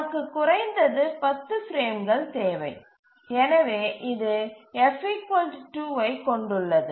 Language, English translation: Tamil, So we need at least 10 frames and therefore this just holds f equal to 2